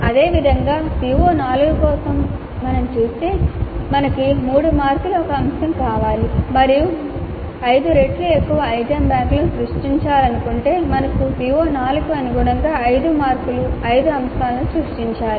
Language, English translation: Telugu, Similarly for CO4 if you see we need one item of three marks and if you wish to create an item bank which is five times that then we need to create five items of three marks each corresponding to CO4 at apply level